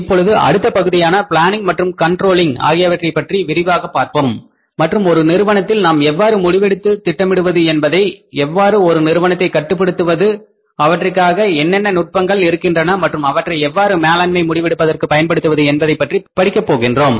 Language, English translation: Tamil, Now we will be further talking about the next part quickly that is the planning and controlling and we will be learning about that how we plan in the firms, how we control in the firms, what are the different tools and techniques are available for planning and controlling in the firms and how they can be made use of for the management decision making